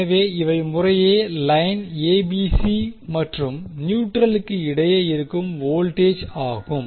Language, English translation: Tamil, So, these are respectively the voltages between line ABC and the neutral